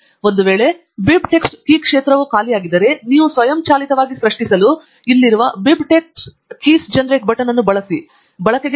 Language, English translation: Kannada, In case if BibTex key field is empty, you can use the Generate BibTex Keys button that is here to generate them automatically